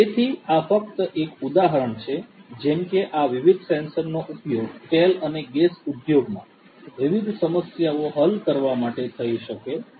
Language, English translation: Gujarati, So, this is just an example like this different different sensors could be used to solve different problems in the oil and gas industry